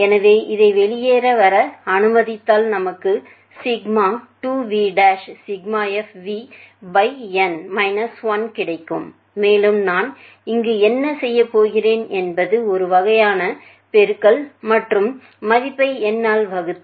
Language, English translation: Tamil, So, we are left with if we just a allow this to come out we are having sigma twice times of sigma f v by n 1 and infact what I am going to do here it is sort of multiply, and divide the value by n where n can be represented as